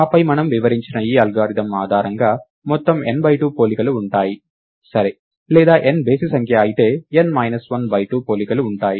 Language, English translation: Telugu, And then based on this algorithm that we have outlined, there will be a total of n by 2 comparisons, right, or if n is odd, there will be n minus 1 by 2 comparisons